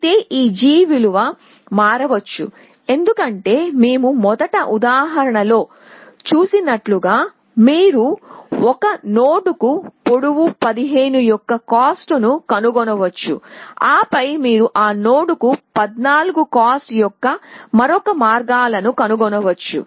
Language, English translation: Telugu, Whereas, this g value may change, why because you as we saw in the example first you may find the cost of length 15 to a node and then you may find another paths of cost 14 to that node